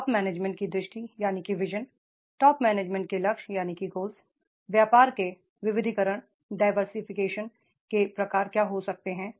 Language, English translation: Hindi, The vision of the top management, goals of the top management, the what type of the diversification of the business may be there